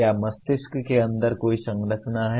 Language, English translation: Hindi, Is there any structure inside the brain